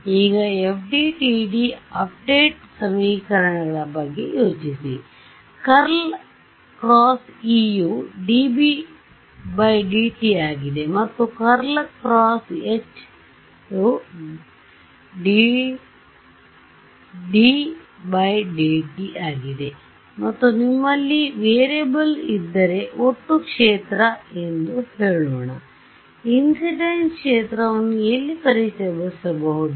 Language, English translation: Kannada, Now look at think of your FDTD update equations, you have curl of E is dB/dt, curl of h is dD/dt and if you have variable is let us say total field, where will you introduce the incident field